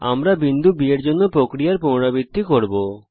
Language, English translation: Bengali, We repeat the process for the point B